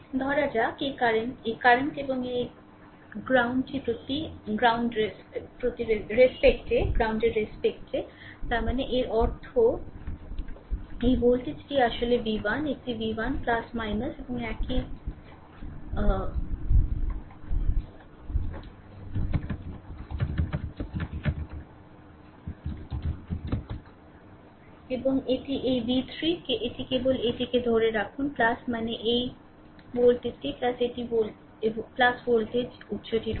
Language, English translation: Bengali, Suppose this current this current is i and this is respect to ground; that means, that means this voltage actually v 1 this is v 1 right plus minus and similarly this voltage your plus and this is v 3 this is minus right ah just just hold on this plus means this this voltage plus this is the voltage source is there